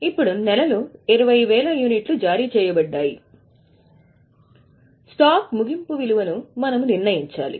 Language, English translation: Telugu, Now 20,000 units were issued during the month and we have to determine the value of closing stock